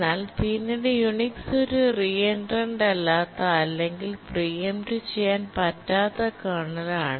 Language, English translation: Malayalam, But then the Unix is a non reentrant or a non preemptible kernel